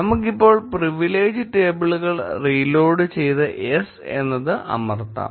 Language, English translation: Malayalam, Let us reload the privilege tables now and press yes